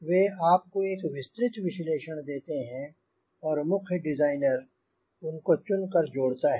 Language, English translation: Hindi, so they gave you the detailed analysis and a chief designer pick them up or aggregate them